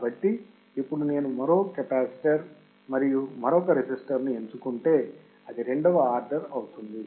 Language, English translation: Telugu, So, now, if I increase one more capacitor and one more resistor, it will become second order